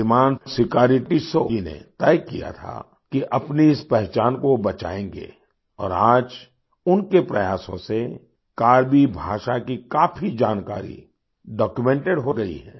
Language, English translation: Hindi, Shriman Sikari Tissau decided that he would protect identity of theirs… and today his efforts have resulted in documentation of much information about the Karbi language